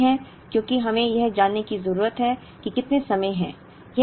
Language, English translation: Hindi, The answer is no, because we need to know how many periods